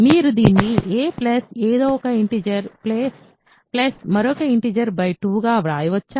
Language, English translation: Telugu, Can you write this as a plus something an integer plus another integer divided by 2